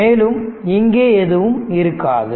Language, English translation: Tamil, So, there will be nothing here